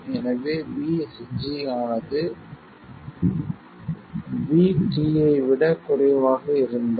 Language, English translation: Tamil, So, we have VSG over here and VSD over there